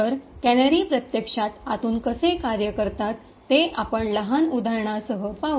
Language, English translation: Marathi, So, let us see how the canaries actually work internally with a small example